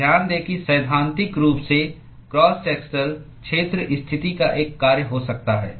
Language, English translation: Hindi, So, note that in principle the cross sectional area could be a function of the position